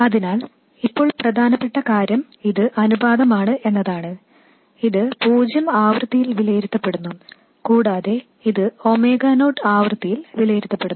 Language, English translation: Malayalam, So, now the important thing is that this is a ratio but this is evaluated at zero frequency and this is evaluated at a frequency of omega not